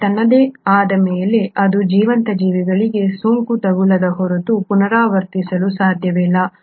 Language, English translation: Kannada, But, on its own, this cannot replicate unless it infects a living organism